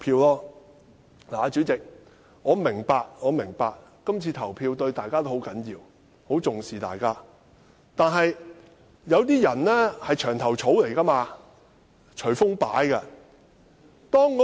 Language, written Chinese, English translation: Cantonese, 代理主席，我明白今次的投票對大家都十分重要，大家都十分重視，但有些人是"牆頭草"，隨風擺。, Deputy President I understand that this voting is very important and we all attach great importance to it . But some people are sitting on the fence and bend with the wind